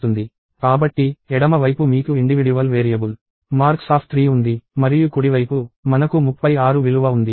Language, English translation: Telugu, So, in the left hand side, you have an individual variable – marks of 3; and on the right hand side, we have a value 36